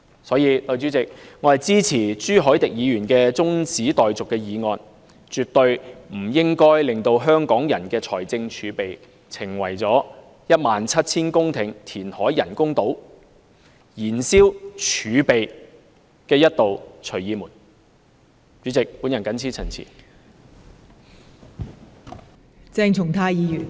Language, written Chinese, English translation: Cantonese, 所以，代理主席，我支持朱凱廸議員提出的中止待續議案，香港人的財政儲備絕對不應成為一道假借 1,700 公頃人工島填海工程之名以燃燒儲備的"隨意門"。, For this reason Deputy President I support the adjournment motion proposed by Mr CHU Hoi - dick . The fiscal reserves of Hong Kong people should never become a convenience door leading to exhaustion of our reserves under the guise of the reclamation works for the 1 700 - hectare artificial islands